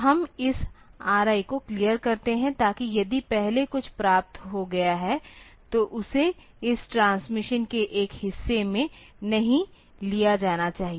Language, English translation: Hindi, So, we clear this R I, so that if previously something has been received, it should not be taken into a part of this transmission